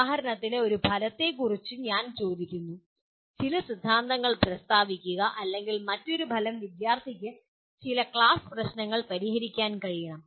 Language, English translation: Malayalam, For example I ask one of the outcome is to state some theorem or another outcome could be the student should be able to solve certain class of problems